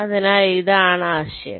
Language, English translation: Malayalam, ok, so this the idea